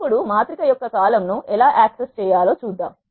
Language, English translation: Telugu, Now, let us see how to access a column of a matrix